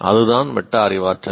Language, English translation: Tamil, That is what is metacognition